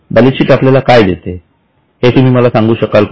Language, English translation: Marathi, So, can you tell me what does the balance sheet give you